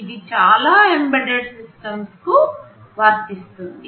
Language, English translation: Telugu, This is true for most of the embedded systems